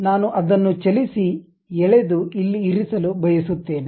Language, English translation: Kannada, I would like to move it drag and place it here